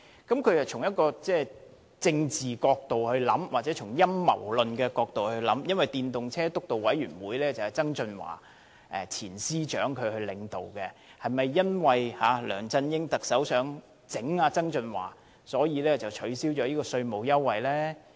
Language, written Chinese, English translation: Cantonese, 他是從一個政治角度或陰謀論的角度來考慮，因為推動使用電動車輛督導委員會是前司長曾俊華領導的，是否因為特首梁振英想整治曾俊華，所以降低了這項稅務優惠？, Dr CHENG has considered the problem from a political perspective or on the basis of a conspiracy theory . As the Steering Committee on the Promotion of Electric Vehicles was led by former Financial Secretary John TSANG Dr CHENG questioned whether the tax waiver reduction was Chief Executive LEUNG Chun - yings attempt to fix John TSANG